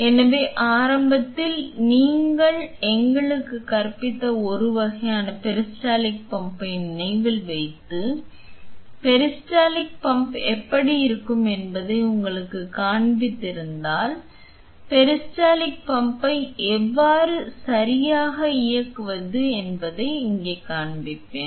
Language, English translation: Tamil, So, initially if you remember the peristaltic pump that was just an kind of the teaching us and showed to you how the peristaltic pump looks like, here we will be showing how can you operate the peristaltic pump right